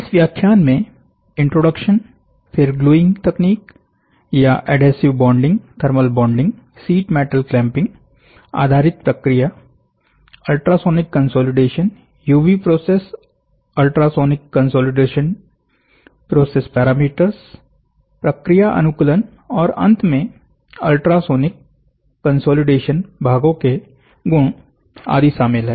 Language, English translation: Hindi, So, in this lecture the contents will be introduction, then gluing techniques or adhesive bonding, then thermal bonding, then process based on sheet metal clamping, then ultrasonic consolidation, then UC process ultrasonic consolidation process parameters and process optimization and finally, the properties of ultrasonic consolidation parts